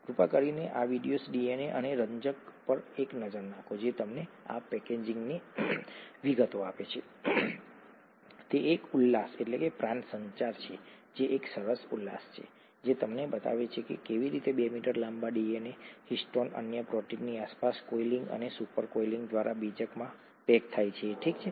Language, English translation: Gujarati, Please take a look at this video, DNA and chromatin, which gives you the details of this packaging, it is an animation which is a nice animation which shows you how the 2 meter long DNA gets packaged into a nucleus by coiling and super coiling around histones, another proteins, okay